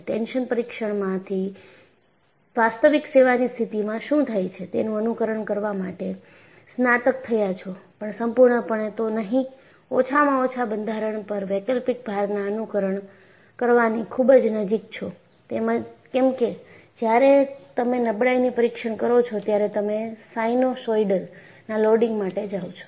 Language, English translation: Gujarati, From tension test, you have graduated to simulate what happens in actual service condition, if not completely, at least very close to simulating alternating loads on the structure, because when you do a fatigue test, you go for a sinusoidal loading